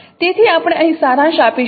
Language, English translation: Gujarati, So this is the summary